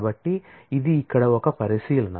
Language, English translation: Telugu, So, this is one observation here